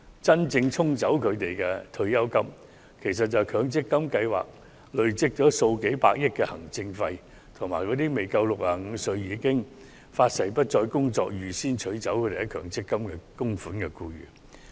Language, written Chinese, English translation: Cantonese, 真正沖走他們退休金的是強積金計劃累計數百億元的行政費，以及那些不足65歲已誓言不再工作，預先取走強積金供款的僱員。, Their retirement benefits are actually swept away by MPF administrative fees which amount to tens of billions of dollars and early withdrawal of MPF by employees who are below 65 and declare that they will no longer work